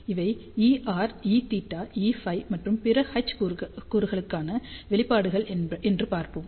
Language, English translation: Tamil, So, let us see these are the expressions for E r, E theta, E phi and other H components